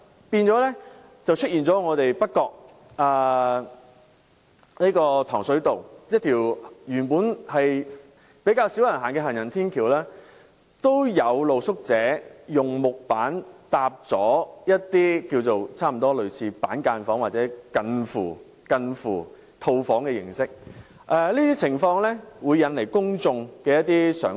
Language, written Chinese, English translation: Cantonese, 結果，在北角糖水道一條原本較少人使用的行人天橋，有露宿者以木板搭建了一些類似板間房或近乎套房形式的木屋，而這些情況會令公眾人士有一些想法。, As a result some street - sleepers have built some sort of cubicle apartments or suites with wooden boards on a less frequently used footbridge at Tong Shui Road North Point . The situation has induced the public to develop some thoughts